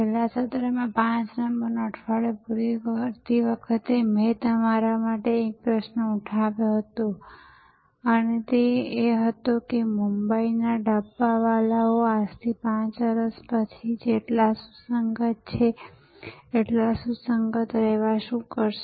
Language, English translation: Gujarati, In the last session while concluding week number 5, I had raised a question for you and that was, what will the Mumbai dabbawalas do to remain as relevant 5 years from now as they are today